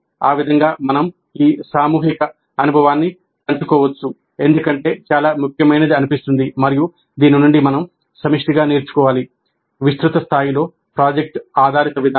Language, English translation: Telugu, And that way we can share this collective experience because this is something that is seen as very important and we need to collectively learn from this, the project based approach on a wider scale